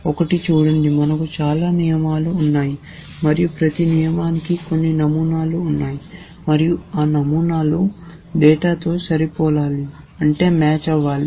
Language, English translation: Telugu, See one is the following, that we have many rules and each rule has some number of patterns and those patterns have to be match with data